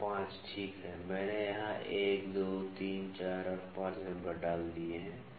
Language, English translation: Hindi, And 5, ok, I have put the numbers here 1, 2, 3, 4 and 5